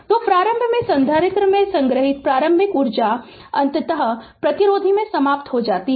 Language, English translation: Hindi, So, initially initial energy stored in the capacitor is eventually dissipated in the resistor